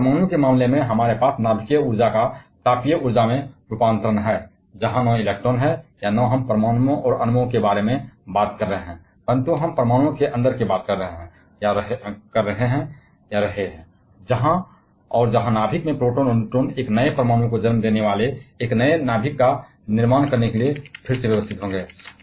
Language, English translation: Hindi, But in case of a nuclear, we have conversion of nuclear energy to the thermal energy; where not electrons or we are not at all talking about atoms and molecules whether we are going inside the atoms, and we are into the nucleus where the protons and neutrons they will be rearranged to form a new nucleus giving birth to a new atom